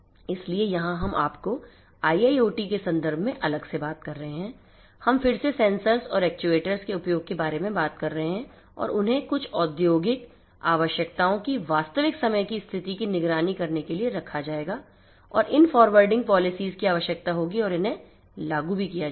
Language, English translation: Hindi, So, you here we are talking about you know different you know in a context of IIoT we are talking about the use of sensors and actuators again and they will have to be placed to monitor or actuate real time status of certain industrial requirement and these forwarding policies will need to be implemented and they will you know